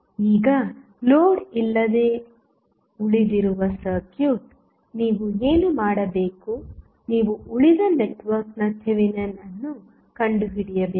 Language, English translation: Kannada, Now, the circuit which is left without load, what you have to do you have to find the Thevenin equivalent of the rest of the network